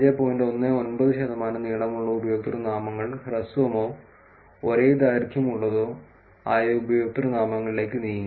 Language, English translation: Malayalam, 19 percent of long usernames moved to short or same length usernames